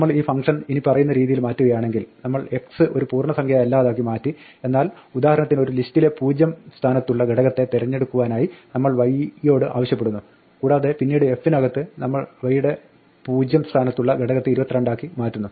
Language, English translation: Malayalam, If we change this function as follows we made x not an integer, but a list for example and we asked y to pick up the 0th element in the list and then later in f we change the 0th element of x to 22